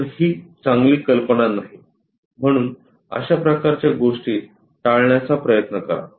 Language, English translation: Marathi, So, is not a good idea so, try to avoid such kind of things